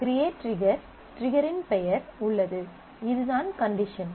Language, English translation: Tamil, Create trigger, trigger there is a name of the trigger and this is the condition